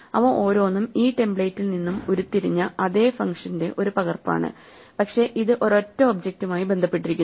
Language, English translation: Malayalam, Each of them is a copy of the same function derived from this template, but this implicitly attach to the single object